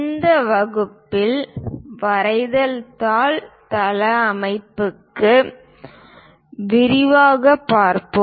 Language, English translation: Tamil, In this class we will look at in detail for a drawing sheet layout